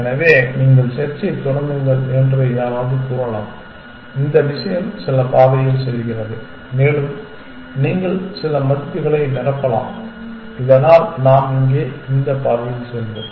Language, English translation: Tamil, So, which one might say that you start with the search this thing go down some path and you can fill in some values so that we will go down this path here